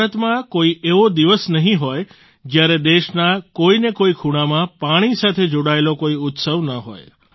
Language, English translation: Gujarati, There must not be a single day in India, when there is no festival connected with water in some corner of the country or the other